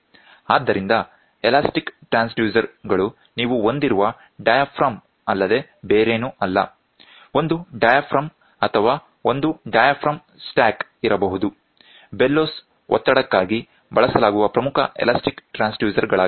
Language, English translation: Kannada, So, elastic transducers this is nothing but you have a diaphragm, a single diaphragm stack of diaphragm single diaphragm can be there, a stack of the diaphragm can be there, the bellows are some of the important elastic transducer used for pressure